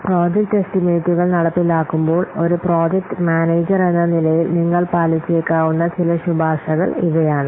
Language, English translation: Malayalam, So, these are some of the recommendations that you may follow as a project manager while carrying out project estimations